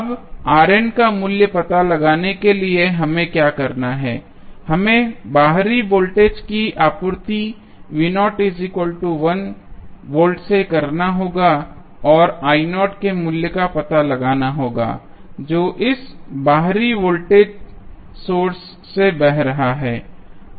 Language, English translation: Hindi, Now, to find out the value of R n what we have to do, we have to apply external voltage supply V naught that is equal to 1 volt and find out the value of I naught which is flowing through this external voltage source